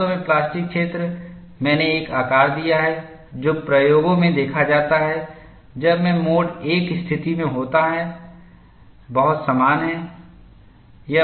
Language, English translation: Hindi, In fact the plastic zone I have given a shape which is very similar to what is seen in experiments when I am having a mode 1 situation that representation is given here